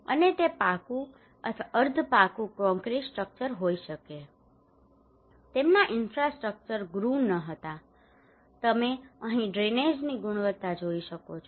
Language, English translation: Gujarati, And it could be pucca or semi pucca concrete structure, their infrastructures were not grooved, you can see the drainage quality here